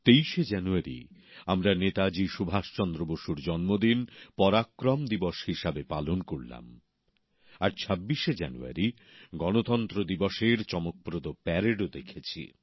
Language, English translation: Bengali, We celebrated the 23rd of January, the birth anniversary of Netaji Subhash Chandra Bose as PARAKRAM DIWAS and also watched the grand Republic Day Parade on the 26th of January